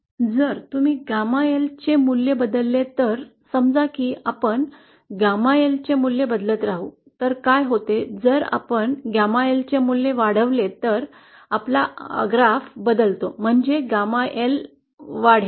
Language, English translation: Marathi, If you change the value of Gamma L, say we keep on changing the value of gamma L, then what happens is, say if we increase the value of gamma L, then our graph changes like this, That is we change our ZL so that gamma L increases